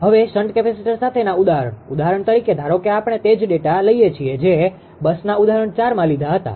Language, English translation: Gujarati, Now, example with shunt capacitors right; for example, suppose we take the same data we take the same data same 4 bus example